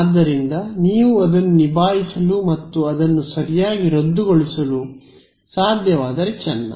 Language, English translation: Kannada, So, if you can deal with that and cancel it off correctly then you will be fine